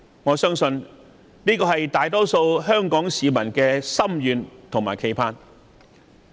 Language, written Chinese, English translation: Cantonese, 我相信這是大多數香港市民的心願和期盼。, I believe that is the wish of most Hong Kong people